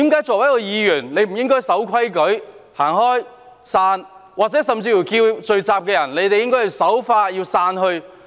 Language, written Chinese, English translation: Cantonese, 作為一位議員，他不是應該守規矩，離開現場，甚至呼籲聚集人士守法並散去嗎？, Being a Member should he not comply with the rules leave the scene and even appeal to the crowd to abide by the law and disperse?